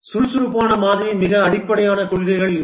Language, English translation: Tamil, These are some of the very fundamental principles of the Agile Model